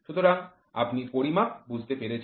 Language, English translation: Bengali, So, you have understood measurements